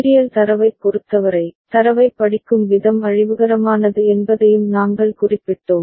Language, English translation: Tamil, And we also noted that for serial data out, the way we read the data, in such case as such is destructive